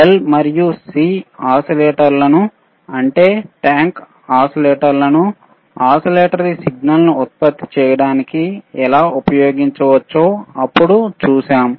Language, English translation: Telugu, Then we have seen how the L and C oscillators, that is tank oscillators can be used for generating the signal oscillatory signal